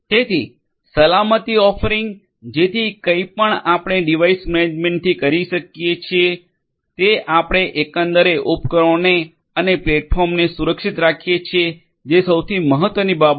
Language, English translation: Gujarati, So, security offering so whatever you know the device management that we do securing the overall the devices and the platform is the most important thing